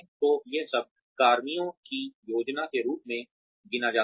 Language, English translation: Hindi, So, all that counts as personnel planning